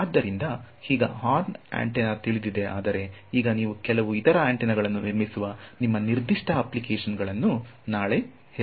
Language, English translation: Kannada, So, now horn antenna is known but now let us say tomorrow for your particular application you build some other antenna